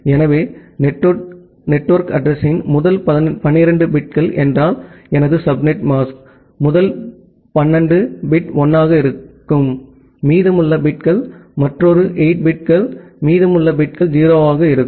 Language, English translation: Tamil, So, the first 12 bits of network address means my subnet mask would be the first 12 bit will be 1; and the remaining bits will be another 8 bits remaining bits will be 0